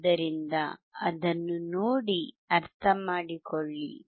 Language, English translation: Kannada, So, look at it, understand it